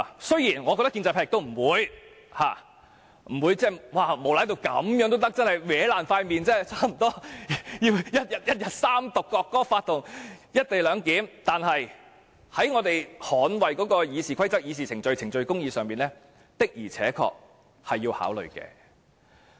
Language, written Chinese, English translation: Cantonese, 雖然我認為建制派不會無賴至這種程度，差不多撕破臉地一天內完成《國歌法》和"一地兩檢"的三讀，但是在捍衞《議事規則》、議事程序、程序公義上，的確是要考慮的。, I think the pro - establishment camp will not act so disreputable to the extent of ripping open their faces to complete the three Readings of the National Anthem Law and the legislation on co - location arrangement in one day . Yet I have to consider this in the context of defending the Rules of Procedure procedures of this Council and procedural justice